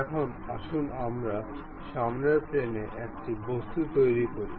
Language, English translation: Bengali, Now, let us construct an object on the front plane